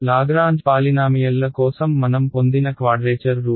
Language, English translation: Telugu, The quadrature rule which I had derived for Lagrange polynomials